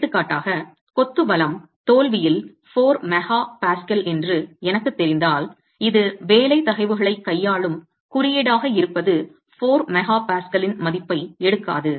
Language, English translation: Tamil, For example if I know that the strength of the masonry is 4 MPA at failure, this being a code that deals with working stresses will not take the value of 4 MPA